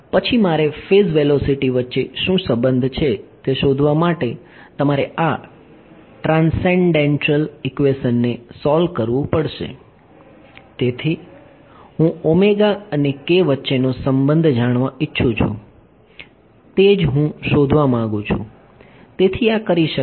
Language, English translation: Gujarati, Then you have to solve this transcendental equation to find out what the relation between I want the phase velocity; so, I want the relation between omega and k that is what I want to get out